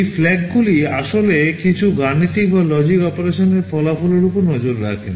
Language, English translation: Bengali, These flags actually keep track of the results of some arithmetic or logic operation